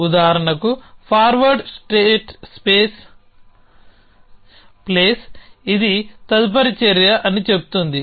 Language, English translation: Telugu, So, for example, forward space place would say this is the next action